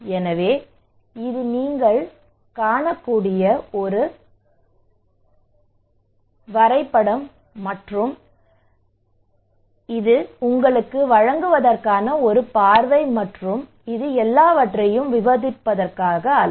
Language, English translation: Tamil, So this is the diagram you can see and so this is just a glimpse to give you not to narrate everything